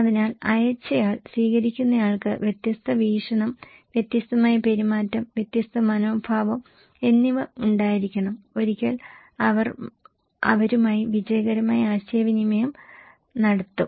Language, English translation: Malayalam, So, the sender, once that receiver should have different perspective, a different behaviour, different attitude, once they would be successfully communicate with them